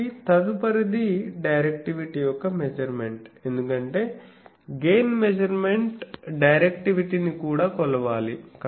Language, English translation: Telugu, So, next is measurement of directivity because gain measurement directivity also needs to be measured